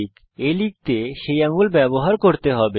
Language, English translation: Bengali, You need to use that finger to type a